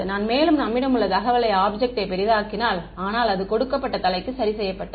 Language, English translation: Tamil, If I make the object bigger then there is more information, but if for a given head, fixed